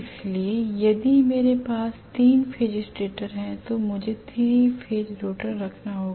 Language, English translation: Hindi, So if I have 3 phase stator I have to have a 3 phase rotor